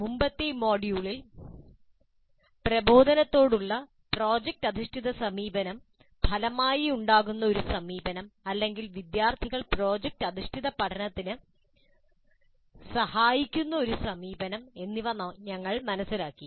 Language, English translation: Malayalam, In the earlier module we understood project based approach to instruction, an approach that results in or an approach that facilitates project based learning by students